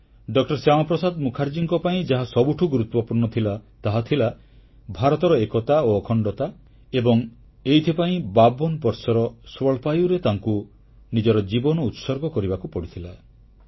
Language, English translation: Odia, Shyama Prasad Mukherjee, the most important thing was the integrity and unity of India and for this, at the young age of 52, he also sacrificed his life